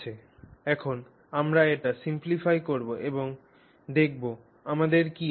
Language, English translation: Bengali, So, now we simply, just simplify this and see what we have